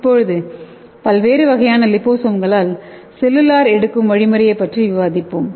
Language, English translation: Tamil, So let us see the cellular uptake of different types of liposomes how the cell uptake on the liposomes into the cells